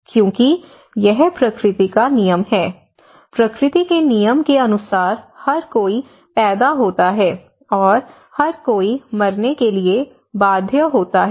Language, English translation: Hindi, Because it is a law of nature, as per the law of nature, everyone is born, and everyone is bound to die